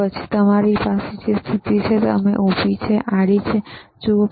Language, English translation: Gujarati, Then we have a position, you see vertical, horizontal